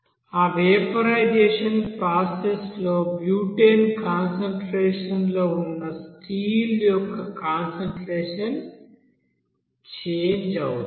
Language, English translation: Telugu, Now, during that you know vaporization process the concentration of that steel that is in butane concentration will be changing